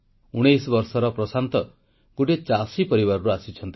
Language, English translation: Odia, Prashant, 19, hails from an agrarian family